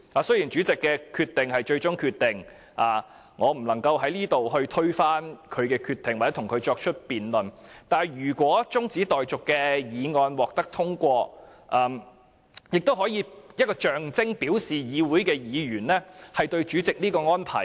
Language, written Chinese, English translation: Cantonese, 雖然主席的決定是最終的，我在此不能推翻他的決定或與他辯論，但如果中止待續議案獲得通過，亦可以象徵及表示議員不滿主席的安排。, Although the Presidents decision is final and I cannot overturn his decision or debate with him if the adjournment motion is passed it will symbolize and indicate that Members are dissatisfied with the arrangement made by the President